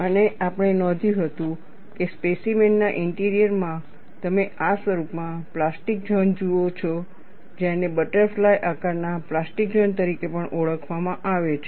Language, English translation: Gujarati, And what we had noted was, in the interior of the specimen, you see the plastic zone in this form, which is also referred as butterfly shape plastic zone